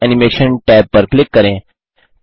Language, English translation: Hindi, Click the Text Animation tab